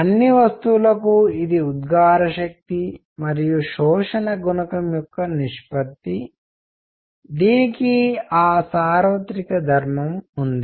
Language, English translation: Telugu, It is ratio of emissive power to absorption coefficient for all bodies, it has that universal property